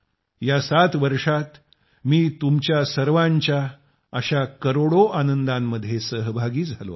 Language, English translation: Marathi, In these 7 years, I have been associated with a million moments of your happiness